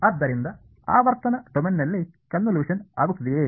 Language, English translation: Kannada, So, in the frequency domain the convolution becomes